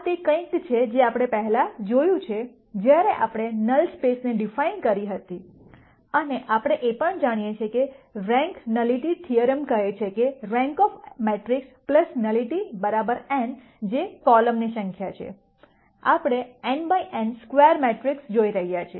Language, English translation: Gujarati, This is something that we have seen before, while we de ne the null space and we also know that the rank nullity theorem says the rank of the matrix plus nullity equals n which is the number of columns, we are looking at square matrices n by n matrices